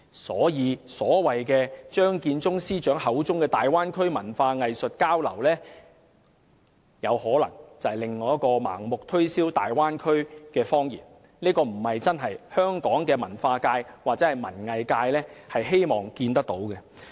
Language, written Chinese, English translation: Cantonese, 所以，張建宗司長口中的"大灣區文化藝術交流"可能是另一個盲目推銷大灣區的謊言，這並非香港文化界或文藝界真正希望看到的。, So cultural and arts exchanges in the Bay Area as mentioned by Chief Secretary Matthew CHEUNG may be yet another lie intended to blindly promote the Bay Area . This is not something that Hong Kongs cultural or arts circle truly wish to see